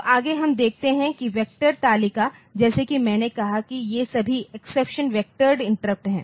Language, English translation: Hindi, So, next we see that the vector table so, as I said that all the all these exceptions they are vectored interrupt they are they are vectored